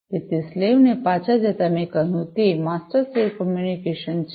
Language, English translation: Gujarati, So, going back the slaves so, I said that it is master slave communication